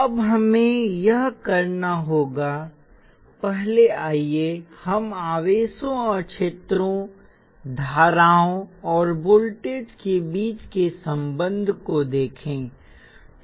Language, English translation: Hindi, Now have to do this first let us look at the relationship between charges and fields, and currents and voltages